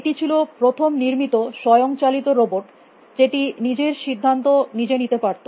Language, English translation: Bengali, This was the first autonomous robot that was built, which could take it is own decisions